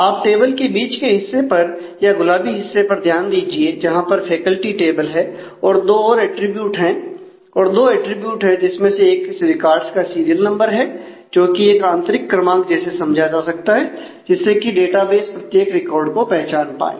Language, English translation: Hindi, So, just focus on the middle part the pinkish part of the table which is table faculty besides the two attributes I have put a serial number for the records which kind of can be considered as internal numbers of the database to identify each record